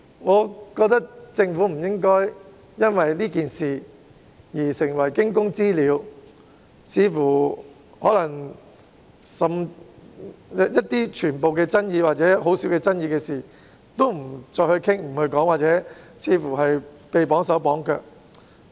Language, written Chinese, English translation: Cantonese, 我覺得政府不應因為這次事件而成為驚弓之鳥，不再討論所有富爭議性，甚至只涉及很少爭議的事情，似乎因而"綁手綁腳"。, I think the Government should not be too nervous because of this incident such that it will no longer bring up any controversial issues or issues which involve only little controversies for discussion and appears to be hamstrung